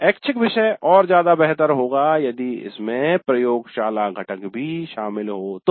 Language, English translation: Hindi, The value of the elective would have been better if it had a laboratory component also